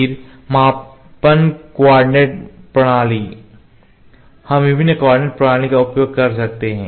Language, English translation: Hindi, Then measurement coordinate systems, we can use different coordinate system